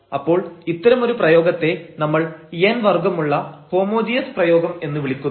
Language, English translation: Malayalam, So, we will call this such a function a function a homogeneous function of order n